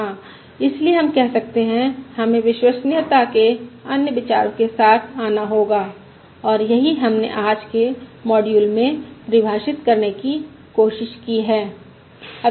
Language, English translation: Hindi, Yeah, so what we can say is we have to come up with other notions of reliability, and that is what we have tried to define in todays module